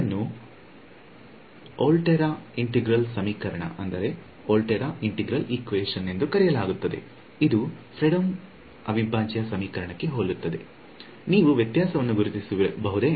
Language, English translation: Kannada, It is called a Volterra integral equation which is almost identical to a Fredholm integral equation, can you spot the difference